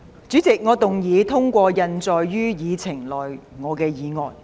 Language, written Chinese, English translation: Cantonese, 主席，我動議通過印載於議程內我的議案。, President I move that my motion as printed on the Agenda be passed